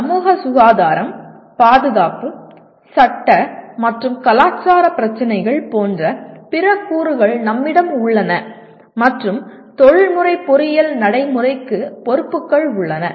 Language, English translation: Tamil, And we have other elements like societal health, safety, legal and cultural issues and the responsibilities are to the professional engineering practice